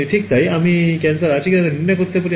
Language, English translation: Bengali, Right so, that is how I can do a diagnosis of whether or not there is cancer